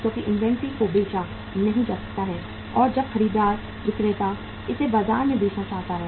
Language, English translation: Hindi, Because inventory cannot be sold as and when the buyer seller wants to sell it in the market